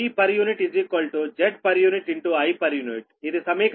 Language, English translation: Telugu, this is equation eight